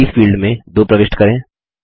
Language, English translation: Hindi, In the Copies field, enter 2